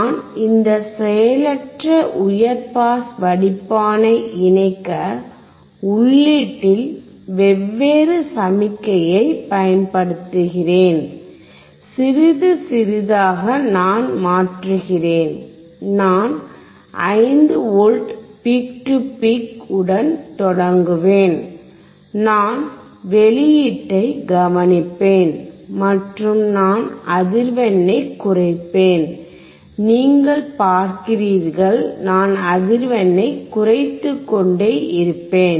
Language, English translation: Tamil, I will connect this passive high pass filter, and apply different signal at the input different signal when I say is I will change the I will start with 5V peak to peak and I will observe the output, and I will decrease the frequency, you see, I will keep on decreasing the frequency